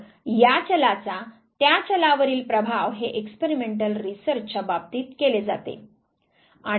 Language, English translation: Marathi, So, effect of this variable on that variable this is what is done in the case of experimental research